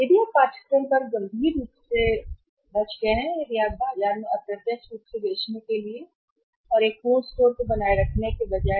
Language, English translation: Hindi, If you saved up on the course seriously means if you are going to sell indirectly in the market and rather than maintaining a full fledged store